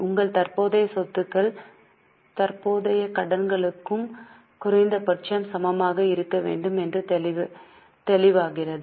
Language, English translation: Tamil, It becomes obvious that your current asset should be at least equal to current liabilities